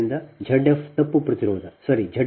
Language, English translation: Kannada, so z f is equal to zero there